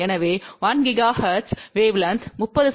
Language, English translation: Tamil, So, at 1 gigahertz wave length will be 30 centimeter